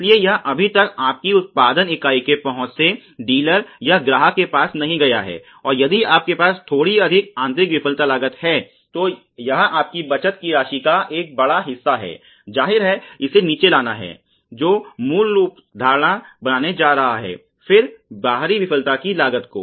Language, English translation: Hindi, So, it is not yet gone from the per view of the your production unit to the let say the dealer or the customer and this is a huge amount of you know saving if you have a little slightly more internal failure costs; obviously, it has to come down that is going to the basic philosophy then the external failure costs